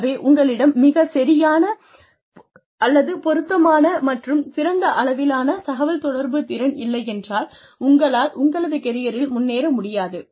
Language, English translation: Tamil, So, unless, you have the right, or an appropriate, an optimum level of communication skills, you will not be able to progress, in your career